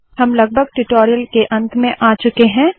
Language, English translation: Hindi, We are almost at the end of the spoken tutorial